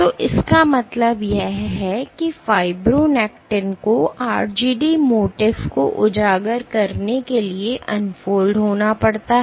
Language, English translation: Hindi, So, what this means is fibronectin has to unfold for exposing RGD MOTIF